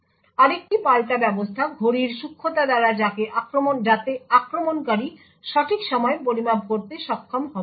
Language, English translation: Bengali, Another countermeasure is by fuzzing clocks so that the attacker will not be able to make precise timing measurement